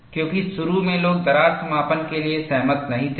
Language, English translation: Hindi, Initially, people did not believe that crack closure could happen